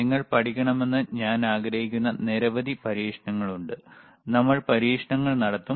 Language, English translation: Malayalam, tThere are several experiments that I want you to learn, and we will perform the experiments